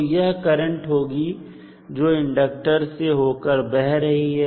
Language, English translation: Hindi, So, this would be the current which would be flowing through the inductor